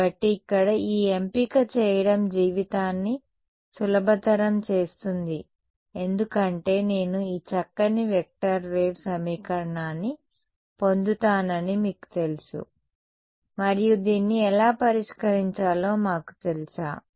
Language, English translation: Telugu, So, here making this choice makes life easy because you know I get this nice vector wave equation and do we know how to solve this